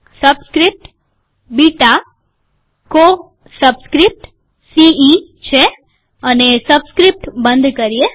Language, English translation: Gujarati, Subscript, beta, co subscript is ce, closes this subscript